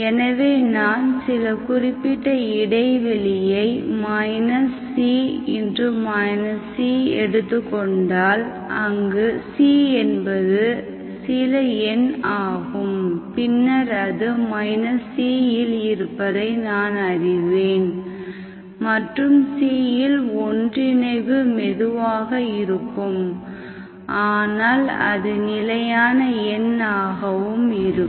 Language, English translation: Tamil, So if I take some fixed interval, say minus C to C, C is some number, then I know that at some, if I consider at minus C and plus C, the convergence is slower but it is fixed number, it cannot be 0, some number